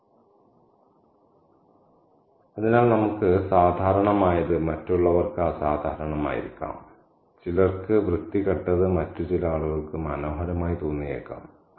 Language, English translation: Malayalam, And so what is ordinary to us may be extraordinary to others, what is ugly to some may be, may appear beautiful to some other kinds of people